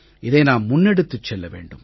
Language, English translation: Tamil, We should take this thing forward